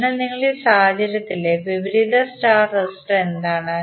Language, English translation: Malayalam, So in this case, what is the opposite star resistor